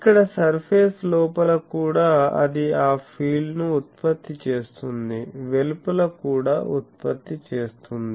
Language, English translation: Telugu, So, here inside the surface also it is producing that field outside also producing that field etc